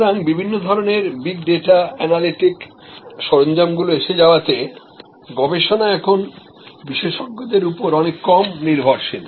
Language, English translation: Bengali, So, with various kinds of big data analytic tools market research in many ways now are less dependent and market research experts